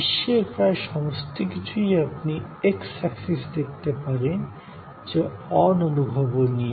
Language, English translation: Bengali, That almost everything in the world can be seen as you in the x axis, we have intangibility